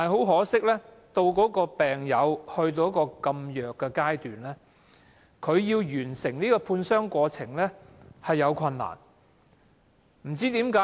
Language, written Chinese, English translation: Cantonese, 可惜，當病友體弱至此，他們要完成判傷過程十分困難。, However for patients who are very weak they will have difficulty going through the medical examination